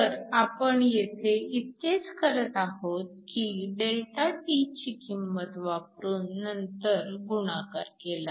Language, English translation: Marathi, So, all we are doing is substituting ΔT here and then just multiplying